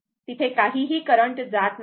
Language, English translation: Marathi, So, nothing is flowing there right